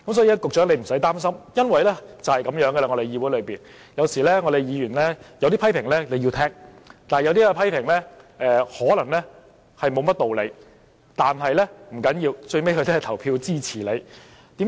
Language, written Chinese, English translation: Cantonese, 因此，局長，你不用擔心，議會便是如此，議員有些批評你要聽，但有些批評可能無甚道理，不要緊，他最後也會投票支持你。, While you should be open to some criticisms of Members you need not show too much concern about some unreasonable criticisms . But that is fine . Eventually he will vote in favour of the Bill